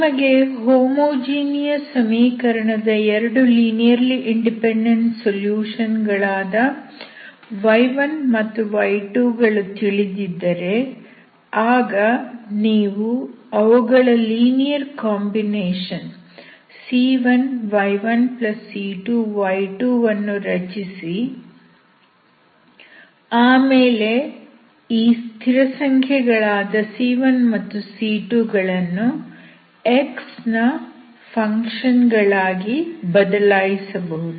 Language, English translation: Kannada, So if you know y1 and y2 which are two linearly independent solutions of the homogeneous equation, you can make a linear combination of this that is c1 y1+c2 y2 and then vary this constants, c1, and c2 as a functions of x, and you look for the solution of the non homogeneous equation in the given form c1 y1+c2 y2